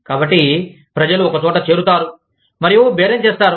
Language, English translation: Telugu, So, people get together, and bargain